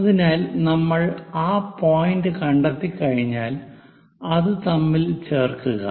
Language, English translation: Malayalam, So, once we locate that point join it